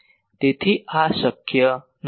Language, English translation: Gujarati, So, this is not possible